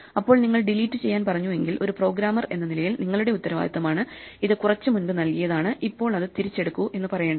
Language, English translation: Malayalam, When you delete something it is your responsibility as a programmer to say this was given to me sometime back, please take it back